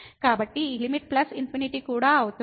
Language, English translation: Telugu, So, this limit will be also plus infinity